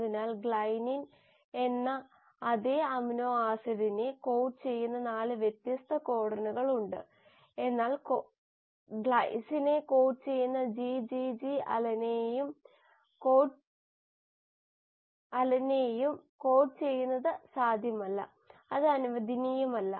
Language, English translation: Malayalam, So there are 4 different codons which code for the same amino acid which is glycine, but it is not possible that the GGG will code for glycine will also code for alanine, that is not allowed